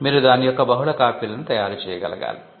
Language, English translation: Telugu, You should be able to make multiple copies of it